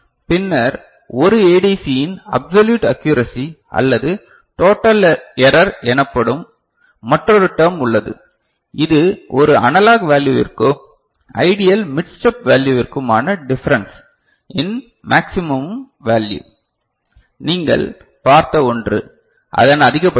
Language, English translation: Tamil, And then there is another term called absolute accuracy or total error of an ADC, which is the maximum value of the difference between an analog value and the ideal mid step value, the one that you have seen the maximum of it